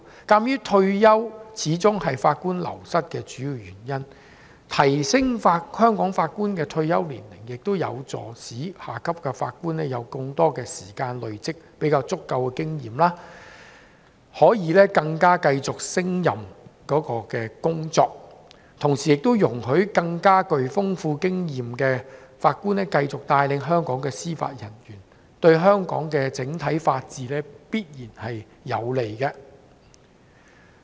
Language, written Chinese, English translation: Cantonese, 鑒於退休始終是法官流失的主要原因，提高香港法官退休年齡有助下級法官有更多時間累積經驗，可以更勝任有關工作，同時也容許具豐富經驗的法官繼續帶領香港司法人員，對香港整體法治必然有利。, Given that retirement has always been the major reason for the loss of Judges raising the retirement age of Judges in Hong Kong will enable junior officers to have more time to accumulate experience so that they can be more competent in their work; at the same time experienced judges can continue to guide the local judicial officers which is definitely beneficial to Hong Kongs overall rule of law